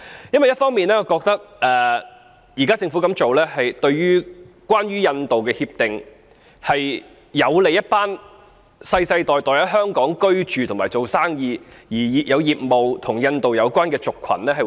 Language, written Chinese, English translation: Cantonese, 因為一方面，我覺得政府現在這樣做，就關於印度的協定而言，是有利一群世世代代在香港居住及做生意，而其業務是與印度有關的族群。, For on the one hand I considered what the Government is doing in respect of the agreement with India beneficial to an ethnic group which members have been living and doing business in Hong Kong for generations and which businesses are related to India